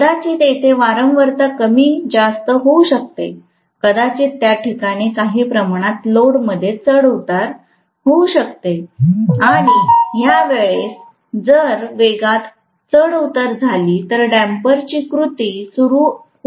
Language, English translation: Marathi, Maybe there is a frequency fluctuation, maybe there is some kind of load fluctuation, if the speed fluctuates at that point damper jumps into action